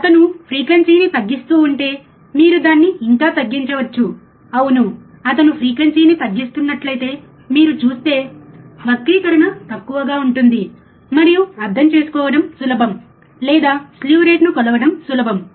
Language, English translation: Telugu, But if he goes on decreasing the frequency can you decrease it again, yeah, if you see that he is decreasing the frequency, the distortion becomes less, and it is easy to understand or easy to measure the slew rate